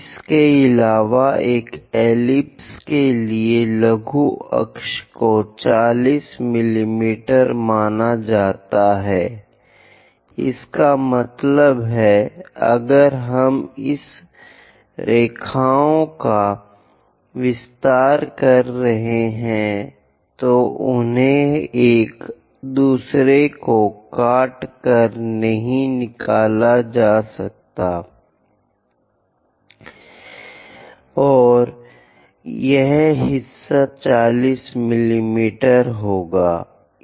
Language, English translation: Hindi, And the minor axis for an ellipse supposed to be 40 mm, that means, if we are extending these lines, they should not be get intersected that is a way one has to draw, and this part supposed to be 40 mm